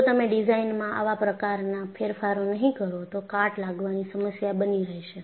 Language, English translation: Gujarati, If you do not take such modifications in the design, corrosion is going to be a problem